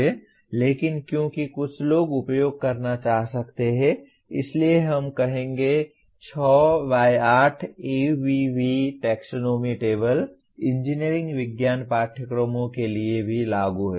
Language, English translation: Hindi, But because some people may want to use, so we will say 6 by 8 ABV taxonomy table is applicable to engineering science courses as well